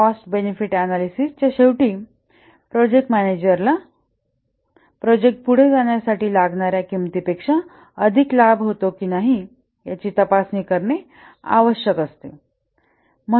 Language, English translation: Marathi, At the end of the cost benefit analysis, the project manager needs to check whether the benefits are greater than the costs for the project to proceed